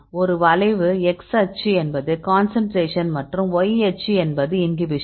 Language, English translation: Tamil, So, here this is a curve here x axis is the concentration, this is the concentration and y axis is the inhibition